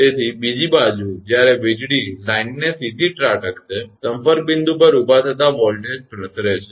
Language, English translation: Gujarati, So, on the other end when lightning strike the line directly; the raised voltage at the contact point propagate